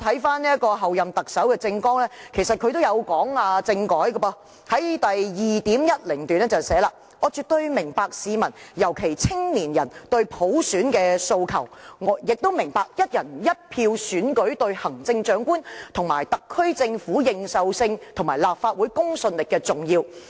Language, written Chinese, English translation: Cantonese, 翻看候任特首的政綱，其實她亦有提及政改，在第 2.10 段中提出："我絕對明白市民，尤其是青年人，對普選的訴求，也明白'一人一票'選舉對行政長官及特區政府認受性和立法會公信力的重要。, The Chief Executive - elect has indeed mentioned constitutional reform in her Manifesto . In paragraph 2.10 of the Manifesto it was said that I absolutely understand Hong Kong peoples particularly our young peoples desire for universal suffrage . I also appreciate the importance of One Person One Vote in an election to garner greater recognition of the Chief Executive and his Administration as well as the credibility of the Legislative Council